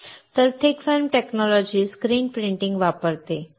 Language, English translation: Marathi, So, thick film technology uses the screen printing